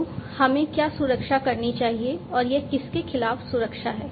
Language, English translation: Hindi, So, what should we protect and it is protection against what